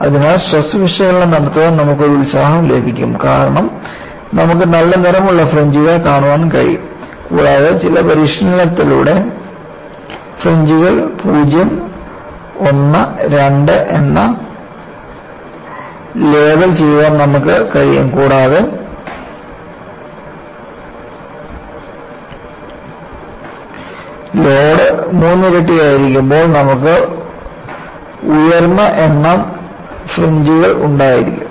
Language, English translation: Malayalam, So, you get an enthusiasm to do stress analysis because you can see nice colored fringes, and with some training, it is possible for you to label the fringes as 0, 1, 2, and when the load istripled, you have higher number of fringes